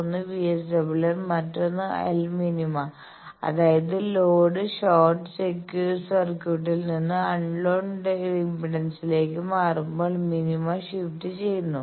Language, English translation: Malayalam, One is VSWR another is l min; that means, shift in minima when load is change from short circuit to any unknown impedance